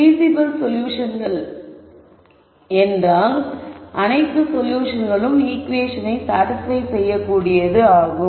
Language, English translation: Tamil, Feasible solutions meaning those are all solutions which can satisfy this equation